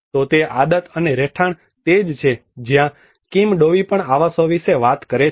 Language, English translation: Gujarati, So the habit and habitat that is where Kim Dovey also talks about habitats